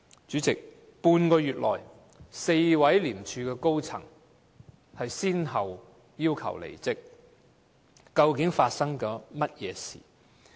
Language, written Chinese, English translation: Cantonese, 主席，半個月內 ，4 位廉署高層人士先後要求離職，究竟發生了甚麼事情？, President within half a month four high - ranking officers in ICAC asked for resignation respectively . What actually happened?